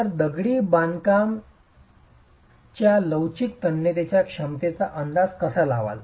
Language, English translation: Marathi, Okay, so how do you estimate the flexual tensile strength of masonry